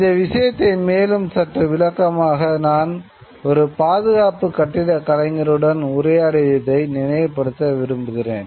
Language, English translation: Tamil, I remember, just to explain this point a little further, I remember having a conversation with a conservation architect